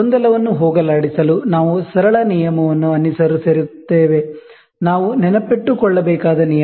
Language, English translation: Kannada, In to eliminate the confusion, we follow a simple rule, the rule we should remember